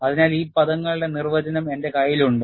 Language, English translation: Malayalam, So, I have the definition of these terminologies